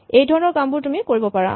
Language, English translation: Assamese, So, all these things you can do